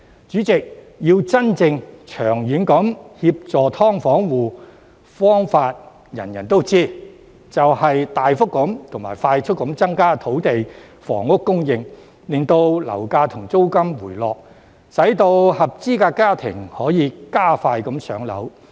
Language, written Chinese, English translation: Cantonese, 主席，真正能夠長遠協助"劏房戶"的方法，人人都知道，就是大幅及快速地增加土地房屋供應，令樓價和租金回落，使合資格家庭可以更快"上樓"。, President in order to provide genuine assistance for SDU households in the long run we all know that we have to substantially and promptly increase land and housing supply so that property prices and rents can moderate and eligible households can be allocated PRH units more quickly